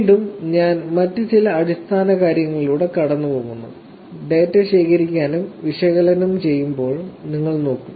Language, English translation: Malayalam, Again I am going through some other basic things, which you will actually look at while collecting data and analyzing